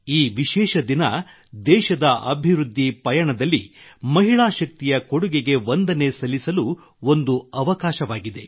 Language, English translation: Kannada, This special day is an opportunity to salute the contribution of woman power in the developmental journey of the country